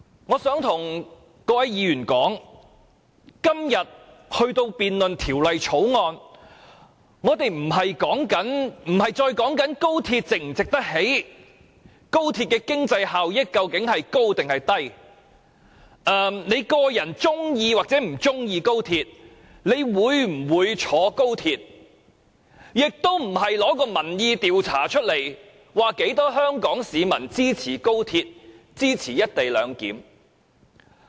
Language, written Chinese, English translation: Cantonese, 我想告訴各位議員，今天有關這項《條例草案》的辯論，已不再是討論高鐵是否值得興建、高鐵的經濟效益有多大或你個人是否喜歡及會否乘搭高鐵，也不再是引述民意調查結果，證明有多少香港市民支持高鐵及"一地兩檢"。, I would like to tell Members that the debate on the Bill today is no longer about whether the Express Rail Link XRL is worth constructing whether XRL will bring huge economic benefits whether you personally like XRL or not or whether you would travel by XRL . Moreover we will no longer cite the findings of opinion surveys to show how many Hong Kong people support XRL and the co - location arrangement